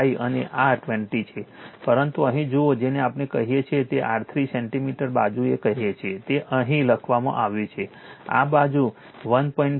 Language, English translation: Gujarati, 5 and this is 20, but see here what we call it is your 3 centimeter side it is written here, 3 centimeter side with this side 1